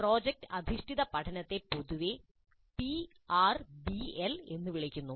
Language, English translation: Malayalam, Project based learning is generally called as PRBL